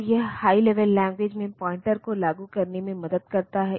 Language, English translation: Hindi, So, this helps in implementing the pointers in high level languages